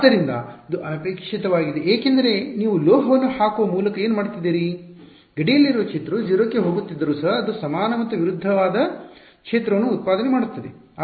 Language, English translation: Kannada, So, it is undesirable because by putting a metal what you doing, even though the field at the boundary is going to 0 the way does it is by generating an equal and opposite field